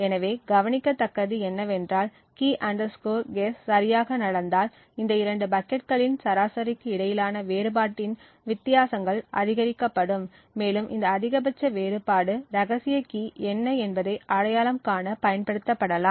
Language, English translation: Tamil, So what is observed is that if the Key guess happens to be correct then this particular difference the differences between the average of these two buckets would be maximized and this maximum difference of means can be than used to identify what the secret key is